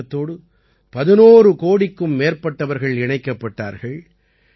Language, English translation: Tamil, More than 11 crore people have been connected with this campaign